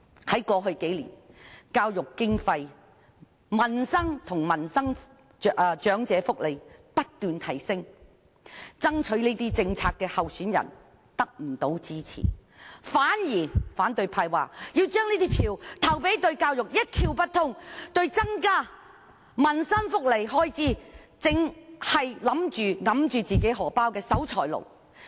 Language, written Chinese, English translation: Cantonese, 反對派竟然不支持提出政策增加政府開支的候選人，反而聲稱要把票投給對教育一竅不通、一直拒絕增加民生福利開支的守財奴。, Instead of supporting a candidate who has proposed policies to increase public spending the opposition camp has claimed to vote for a candidate who knows nothing about education and who has all along been a miser refusing to increase expenditure on peoples livelihood and welfare